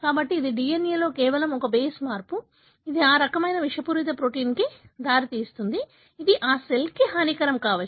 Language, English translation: Telugu, So, this is just one base change in the DNA, can lead to such kind of toxic form of protein, which could be detrimental for thatcell